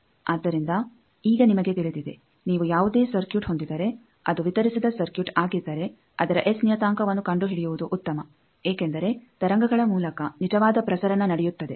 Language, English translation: Kannada, So, now you know that if you have any circuit, if it is distributed circuit it is better to find its S parameter because actual transmission is happening through waves